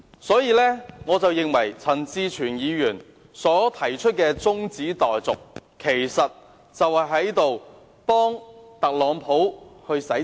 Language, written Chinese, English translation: Cantonese, 所以，我認為陳志全議員提出中止待續議案，其實是在給特朗普洗塵。, Hence I think Mr CHAN Chi - chuens adjournment motion is actually echoing Donald TRUMP